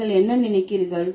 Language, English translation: Tamil, What do you think